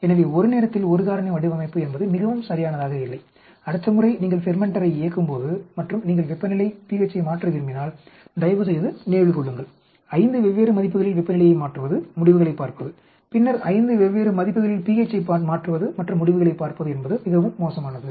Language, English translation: Tamil, So one factor at a time design is extremely not correct adapt, please remember next time you are running fermenter and you want to change temperature pH it is very bad to just change temperature at 5 different values look at the results then change pH at 5 different values and look at the results that is very very very bad and very inefficient